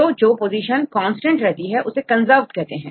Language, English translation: Hindi, So, the positions which are the same right these are called the conserved